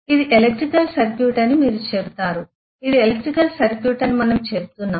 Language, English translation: Telugu, You will say this is an electrical circuit right this is this we say is an electrical circuit